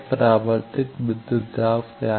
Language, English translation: Hindi, What is the reflected voltage